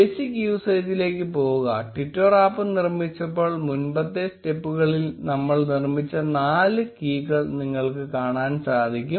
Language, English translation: Malayalam, Go to the basic usage, and you will see that you need the four keys which we already created in the previous step when we created our twitter app